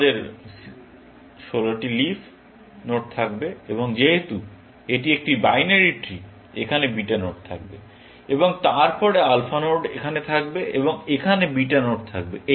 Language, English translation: Bengali, We will have 16 leaf nodes and since, a binary tree; there would be beta nodes sitting here, and then, alpha nodes sitting here, and beta nodes here